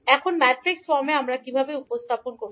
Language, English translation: Bengali, Now in matrix form how we will represent